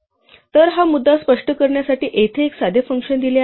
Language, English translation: Marathi, So, here is a simple function just to illustrate this point